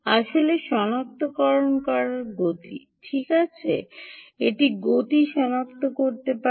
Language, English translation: Bengali, what it can actually detect is motion